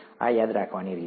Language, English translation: Gujarati, It is the way to remember this